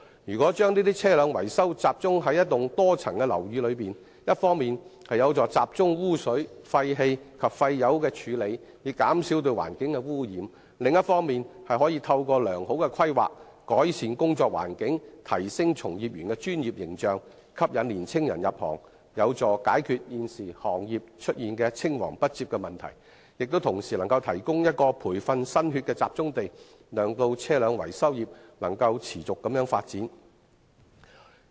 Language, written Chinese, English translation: Cantonese, 如果把車輛維修中心集中於一幢多層樓宇，一方面有助集中污水、廢氣及廢油的處理，減少對環境的污染，另一方面亦可以透過良好的規劃，改善工作環境，提升從業員的專業形象，吸引年青人入行，有助解決現時行業出現青黃不接的問題，亦同時能夠提供一個培訓新血的集中地，讓車輛維修業能夠持續發展。, If vehicle maintenance workshops can be centrally located in a multi - storeyed building the effluent emission and oil refuse produced can be centrally treated so as to reduce environmental pollution . In addition good planning and improvement of the work environment will enhance the professional image of vehicle maintenance personnel which will in turn attract young entrants to the trade and help solve the current succession problem . This approach will also provide a focal point for training new blood and facilitate the sustainable development of the vehicle maintenance trade